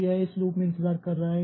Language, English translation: Hindi, So, it is waiting in this loop